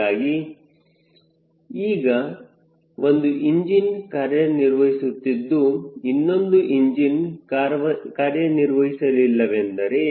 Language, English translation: Kannada, so now one engine is operative, one engine is not operative